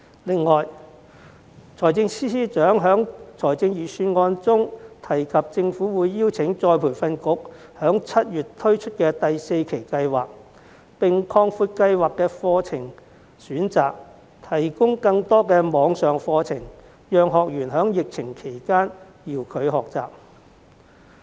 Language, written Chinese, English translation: Cantonese, 此外，司長在預算案中提到，政府會邀請僱員再培訓局於7月推出第四期計劃，並擴闊計劃的課程選擇，提供更多網上課程，讓學員在疫情期間遙距學習。, In addition FS mentioned in the Budget that the Government will ask the Employees Retraining Board to launch the fourth tranche of the Love Upgrading Special Scheme in July and to provide more training options under the scheme and more online courses for trainees to engage in distance learning during the epidemic